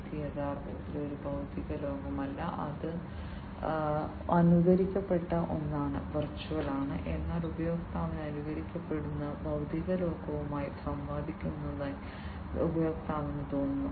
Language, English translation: Malayalam, It is actually not a physical world, it is an emulated one, a virtual one, but the user feels that user is interacting with the physical world, which is being immolated